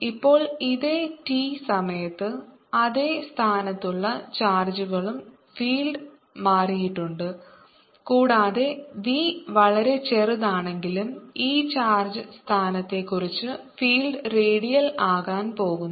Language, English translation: Malayalam, now in this same time t, since the charges in same position, the field also has change and v is very small though the field is going to be redial about this position of charge